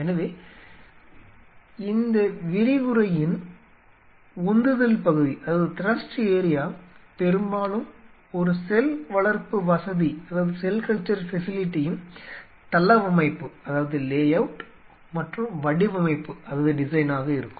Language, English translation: Tamil, So, the thrust area of this lecture will be mostly layout and design of a cell culture facility